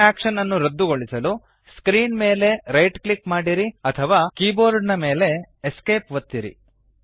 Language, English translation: Kannada, Right click on screen or Press Esc on the keyboard to cancel the action